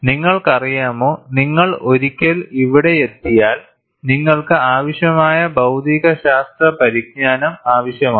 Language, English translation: Malayalam, You know, once you come to here, too much of material science knowledge you need to have